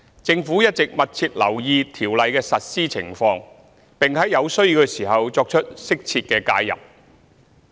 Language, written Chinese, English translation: Cantonese, 政府一直密切留意《條例》的實施情況，並在有需要時作出適切的介入。, The Government has all along been closely monitoring the implementation of the Ordinance and will intervene appropriately when necessary